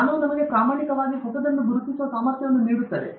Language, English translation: Kannada, Knowledge gives us the ability to recognize what is genuinely new